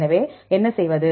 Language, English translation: Tamil, So, what to do